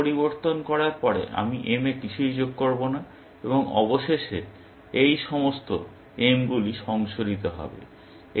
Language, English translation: Bengali, After I change m, I will add nothing to m and eventually, all these ms will get revised